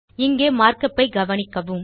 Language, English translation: Tamil, Notice the mark up here